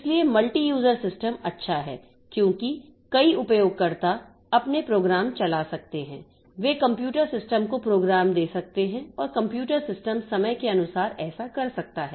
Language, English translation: Hindi, So, multi user system is good because several users can run their programs in but they can give jobs to the computer system and the computer system can do that in due course of time